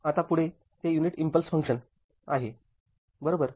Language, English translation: Marathi, Now, next is that unit impulse function, right